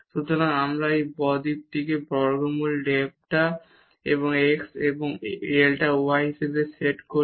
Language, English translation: Bengali, So, we get this delta set as square root delta x and delta y